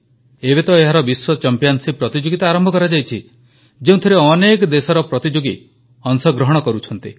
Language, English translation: Odia, And now, its World Championship has also been started which sees participants from many countries